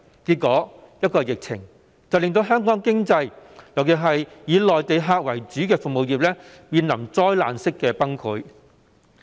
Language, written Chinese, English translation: Cantonese, 結果，一個疫情便令香港的經濟，尤其是以內地客為主的服務業，面臨災難式的崩潰。, Eventually an epidemic has caused the disastrous collapse of the Hong Kong economy particularly the service industry that relies mainly on Mainland customers